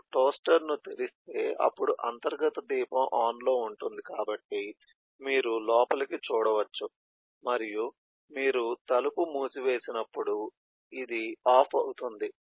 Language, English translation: Telugu, that is, if you o open the toaster, then the internal lamp will get on so that you can look inside, and when you put the door closed then this will become off